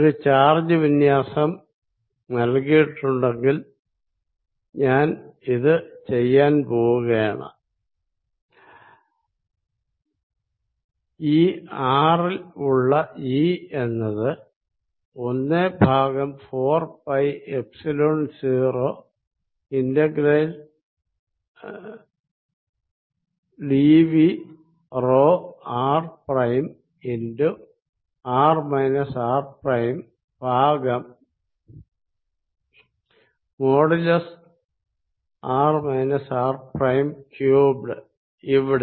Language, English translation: Malayalam, One is obviously going to say that given a charge distribution, I am just going to do this E at r is going to be 1 over 4 pi Epsilon 0 integration dv rho r prime over r minus r prime r minus r prime cubed here